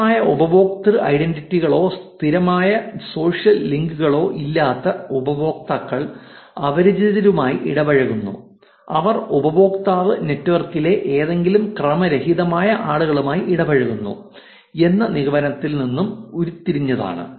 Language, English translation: Malayalam, Without strong user identities or persistent social links users interact with strangers which is also derived from the conclusion that user is interacting with any random people on the network right